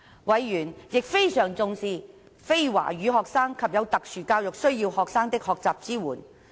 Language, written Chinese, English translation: Cantonese, 委員亦非常重視非華語學生及有特殊教育需要學生的學習支援。, Members also attached great importance to the learning support for non - Chinese speaking students and students with special education needs